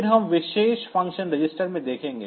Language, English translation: Hindi, Then well look into the special function registers